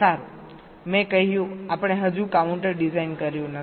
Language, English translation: Gujarati, well, i have said we have not yet designed the counter